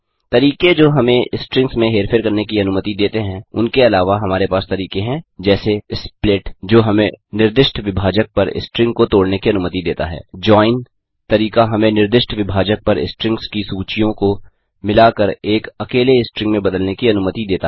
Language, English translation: Hindi, In addition to the methods that let us manipulate the strings we have methods like split which lets us break the string on the specified separator, the join method which lets us combine the list of strings into a single string based on the specified separator